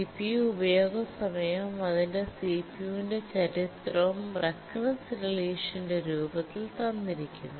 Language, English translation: Malayalam, The history of CPU uses time is given in form of a recurrence relation